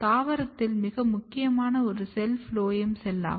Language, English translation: Tamil, One very important cell in the plant is phloem cell